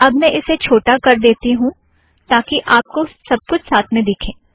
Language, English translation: Hindi, Now what I will do is I will make this smaller so that you can see all of it